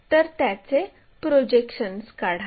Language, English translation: Marathi, If that is the case draw its projections